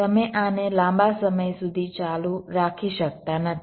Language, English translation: Gujarati, you cannot continue this for long